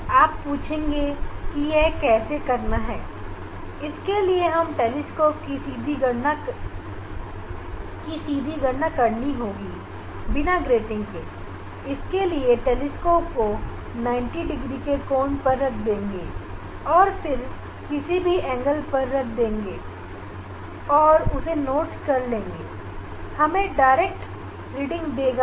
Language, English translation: Hindi, we have to take direct reading of the telescope without grating, then telescope is rotated through 90 degree and set at some angle we will note down that angle